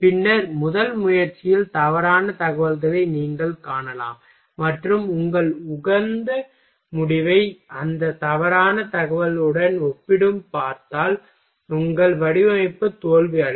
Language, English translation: Tamil, Then, it may be possible that you may find at a in a first attempt wrong information and if you will compare your optimized result with that wrong information so, that your design will be get failed